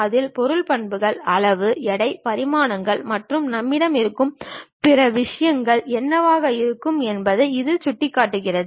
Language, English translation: Tamil, In that it shows what might be the material properties, size, weight, dimensions and other things we will have it